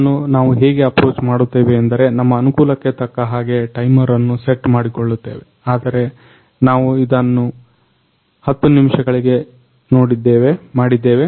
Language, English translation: Kannada, So, how we are approaching on this is we are setting a timer for like that is on our convenience, but we are setting it for 10 minutes